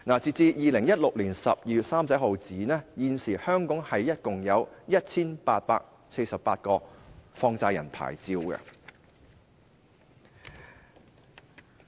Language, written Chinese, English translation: Cantonese, 截至2016年12月31日，香港現時共有 1,848 個放債人牌照。, As at 31 December 2016 there were 1 848 money lender licences in total in Hong Kong